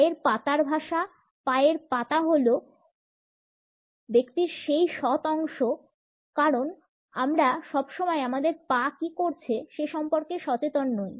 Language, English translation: Bengali, Feet language; feet are those honest part of the person because we are not always aware of what our feet are doing